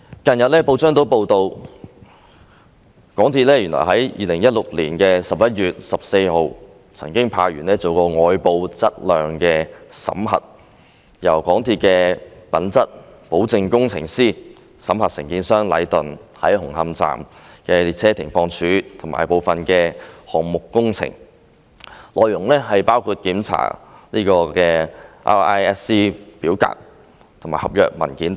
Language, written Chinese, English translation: Cantonese, 近日報章亦報道，港鐵公司原來在2016年11月14日曾經派員進行外部質量審核，由港鐵公司的品質保證工程師審核承建商禮頓建築有限公司在紅磡站的列車停放處及部分項目工程，內容包括檢查 RISC 表格及合約文件等。, In the past couple of days it was reported in the press that an external quality audit was conducted by MTRCL on 14 November 2016 . The audit which was performed by a Quality Assurance Engineer of MTRCL was intended to inspect the stabling sidings and certain works projects at Hung Hom Station carried out by the contractor namely Leighton Contractors Asia Limited Leighton and the scope of the audit includes checking the Request for Inspection and Survey Checks RISC forms contractual documents etc